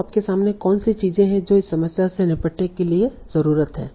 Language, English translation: Hindi, So, what are the things or challenges that one needs to handle in this problem